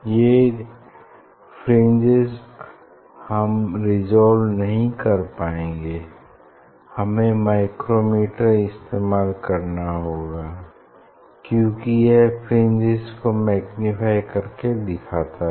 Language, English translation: Hindi, that fringe I cannot resolve on the on the screen ok, I have to use the micrometer, because it shows the magnified fringe